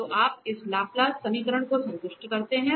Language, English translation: Hindi, So, we have that, that you satisfy this Laplace equation